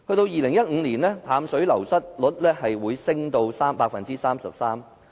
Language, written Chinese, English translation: Cantonese, 2015年，淡水流失率上升至 33%。, In 2015 the above mentioned figure rose to 33 %